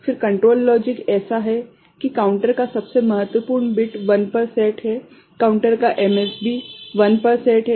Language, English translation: Hindi, Then control logic is such that the most significant bit of the counter is set to 1; most significant bit of the counter is set to 1 right